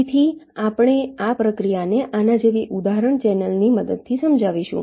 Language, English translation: Gujarati, so we shall be illustrating this processes with the help of an example channel like this